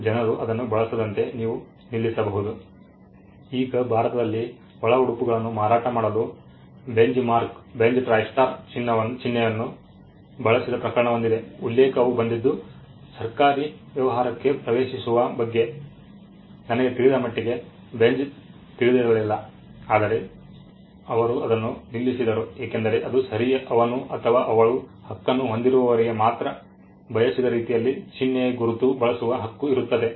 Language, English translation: Kannada, Now, there was a case where someone use the Benchmark the Benz Tristar logo for selling undergarments in India, the quote came Benz had no idea as far as I know of entering into the government business, but still they stopped it because that was the right holder has the right to use the mark in the way he or she wants